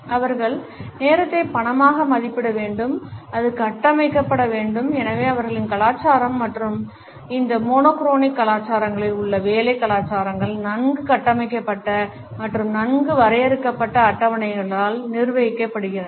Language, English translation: Tamil, They look at time as money as value which has to be structured and therefore, their culture and therefore, the work cultures in these monochronic cultures are governed by a well structured and well defined schedules